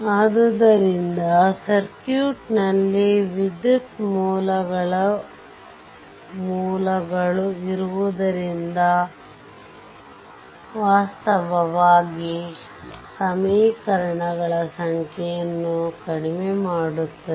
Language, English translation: Kannada, So, presence of current sources in the circuit, it reduces actually the number of equations